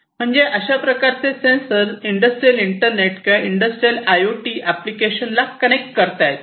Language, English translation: Marathi, So, it is possible to connect these sensors to have you know industrial internet or industrial IoT applications